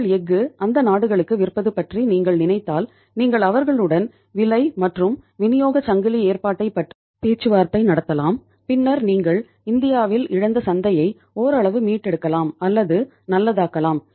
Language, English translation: Tamil, If you think about selling your steel to them to those countries maybe you can negotiate the price and the supply chain arrangement with them and then you can think of say to some extent recouping or making the lost market good by which you have lost in India by say say gaining some market out of India